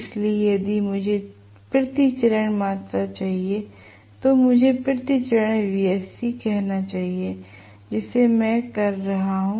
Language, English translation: Hindi, So, if I want per phase quantity I should say wsc per phase which I am call as w dash this will be wsc divided by 3